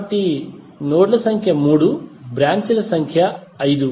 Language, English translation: Telugu, So number of nodes are 3, number of branches are 5